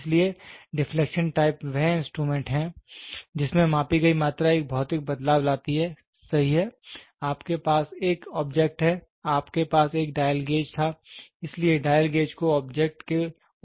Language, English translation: Hindi, So, deflection type are instruments in which the measured quantity produces physical effect, right you had an object, you had a dial gauge, so dial gauge is pressed against the object